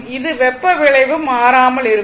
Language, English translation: Tamil, In which case the heating effect remains constant